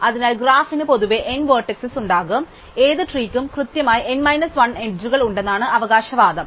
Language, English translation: Malayalam, So, the graph in general will have n vertices, so the claim is that any tree has exactly n minus 1 edges